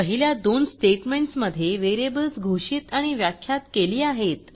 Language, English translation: Marathi, the first two statements the variables are declared and defined